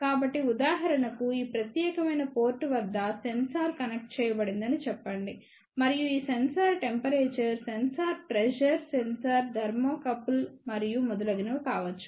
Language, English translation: Telugu, So, for example, if let us say a sensor is connected at this particular port over here and this sensor can be a temperature sensor pressure sensor thermocouple and so on